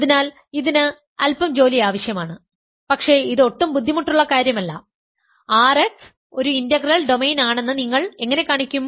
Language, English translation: Malayalam, So, this requires a little bit of work, but it is not difficult at all, how do you show that R x is an integral domain